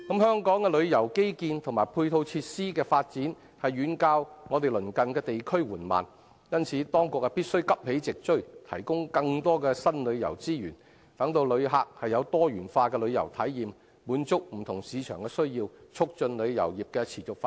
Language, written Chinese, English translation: Cantonese, 香港的旅遊基建及配套設施的發展遠較鄰近地區緩慢，因此當局必須急起直追，提供更多新旅遊資源，讓旅客有多元化的旅遊體驗，滿足不同市場的需要，以促進旅遊業持續發展。, The development of tourism infrastructures and ancillary facilities in Hong Kong lags far behind our neighbouring regions . Therefore the authorities must catch up and provide more new tourism resources to allow visitors to have diversified travel experiences and meet the need of different markets so as to promote the sustainable development of the tourism industry